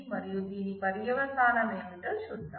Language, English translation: Telugu, So, let us see what is the consequence of this